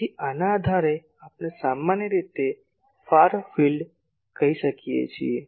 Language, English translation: Gujarati, So, based on these generally we say far field